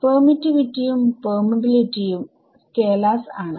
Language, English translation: Malayalam, The permittivity and permeability are scalars